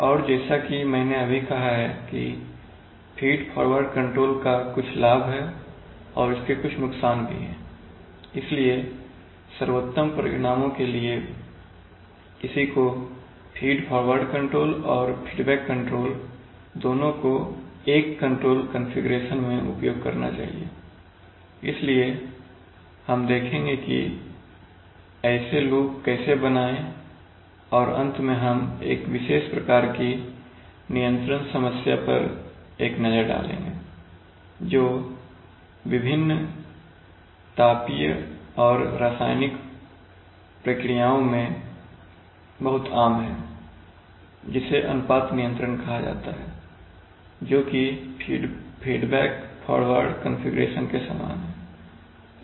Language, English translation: Hindi, So we will comparatively assess these two and we should be able to draw, given a control problem we should be able to draw the, a feed forward control loop structure and as I have just now said that feed forward control has some advantage it also has some disadvantage, so for best results one should use both the feed forward control and the feedback control in a control configuration, so we will see how to draw such loops and finally we will take a look at a particular kind of control problem which is very common in various thermal and chemical processes it is called ratio control, which is very similar to this feedback, feed forward configuration